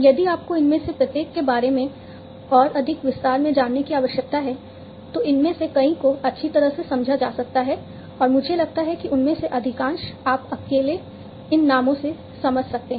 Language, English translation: Hindi, If you need to know in further more detail about each of these many of these are quite well understood, and you know I think most of them you can understand from these names alone